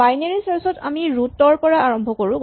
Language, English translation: Assamese, Like in binary search we start at the root